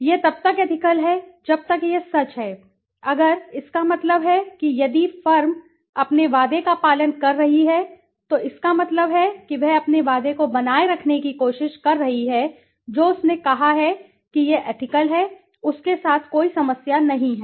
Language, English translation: Hindi, It is ethical as long as it is true, if that means if the firm is following its promise that means it is trying to maintain its promise what it has said then it is ethical, there is no problem with it